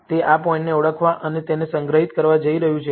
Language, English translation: Gujarati, It is going to identify this point and store it